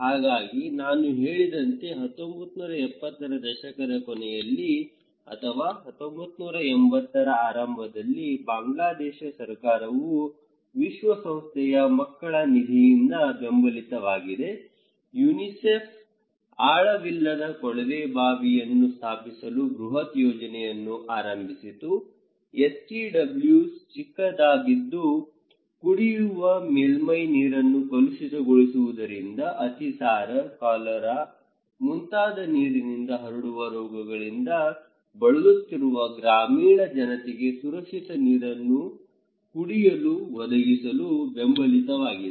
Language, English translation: Kannada, So as I said that during the late 1970’s or in the beginning of 1980’s, the Bangladesh government supported by the United Nations Children's Fund, UNICEF initiated a mass project installing shallow tube well; STWs is in short and to provide safe drinking water to the rural population suffering from number of waterborne diseases such as diarrhoea, cholera due to contamination of drinking surface water, okay